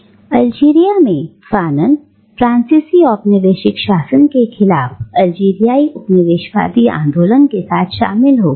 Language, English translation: Hindi, And it was in Algeria that Fanon became involved with the Algerian anti colonial movement against the French colonial rule